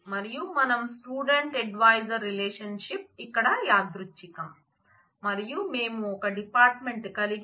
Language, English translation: Telugu, And we have the student advisor relation is incidental here, and we have department